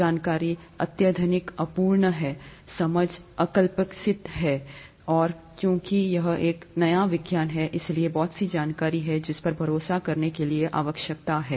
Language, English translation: Hindi, Information is highly incomplete, understanding is rudimentary, and since it is a new science, there’s a lot of information that one needs to rely on